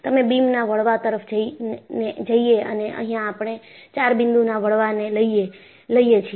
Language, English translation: Gujarati, So, you go to bending of a beam and we take up four point bending